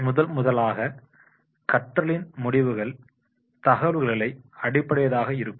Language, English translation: Tamil, First and foremost will be the learning outcomes will be depending on the verbal information